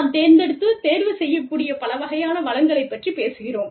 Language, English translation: Tamil, We are talking about, a wide variety of resources, that we can pick and choose from